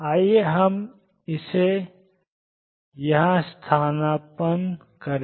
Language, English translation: Hindi, Let us substitute this here